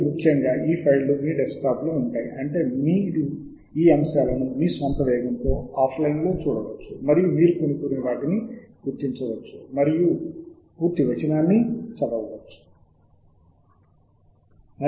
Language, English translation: Telugu, And most importantly, these files reside on your desktop, which means, that you can go through these items at your own pace, offline, and identify those who you want to read the full text of, and so on